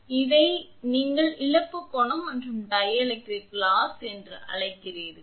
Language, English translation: Tamil, So, this is what you call that loss angle and dielectric loss then happens in the cable